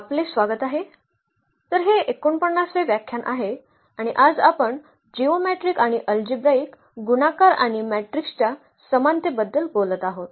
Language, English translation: Marathi, Welcome back, so this is lecture number 49 and we will be talking about today the geometric and algebraic multiplicity and the similarity of matrices